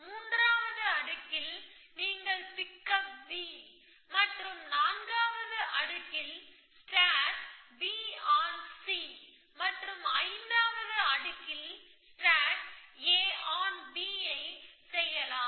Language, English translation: Tamil, In the third layer, you pick up B and the fourth layer, you stack B on to C and fifth layer you stack A on to B